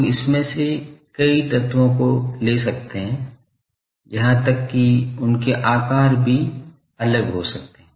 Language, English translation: Hindi, People take may take several of this elements, even their sizes are may vary that people arrive at